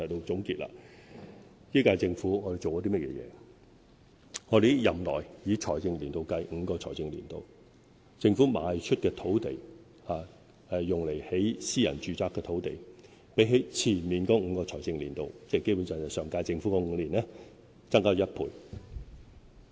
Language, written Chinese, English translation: Cantonese, 在這一屆政府的任期內，以5個財政年度計算，政府賣出用來興建私人住宅樓宇的土地，較前5個財政年度——基本上是上屆政府的5年——增加了1倍。, During the tenure of the current - term Government on the basis of five financial years the amount of land sold by the Government for private housing development has doubled that in the previous five financial years which is basically the period of the last - term Government